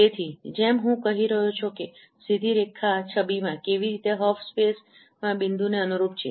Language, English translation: Gujarati, So as I was telling that how a straight line in the image corresponds to a point in hop space